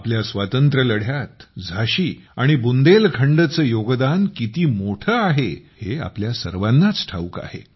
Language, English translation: Marathi, All of us know of the huge contribution of Jhansi and Bundelkhand in our Fight for Freedom